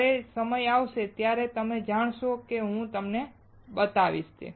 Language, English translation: Gujarati, When the time comes, you will know and I will show it to you